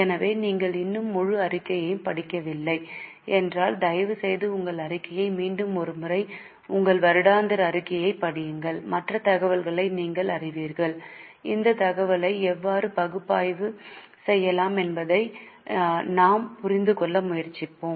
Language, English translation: Tamil, So, if you have still not read the whole report, please read your report once again, your annual report once again, so that you know other information and we will try to understand how that information can be analyzed